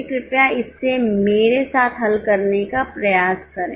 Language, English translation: Hindi, Please try to solve it with me